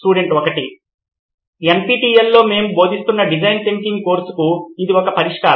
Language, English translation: Telugu, This is a solution for design thinking course we are teaching on NPTEL